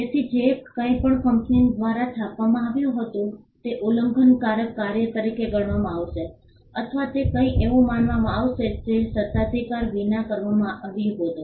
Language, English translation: Gujarati, So, anything that was printed other than by this company would be regarded as an infringing work or that will be regarded as something that was done without authorisation